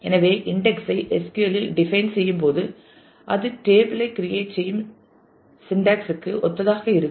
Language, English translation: Tamil, So, index can be defined in SQL in very similar syntax as you create a table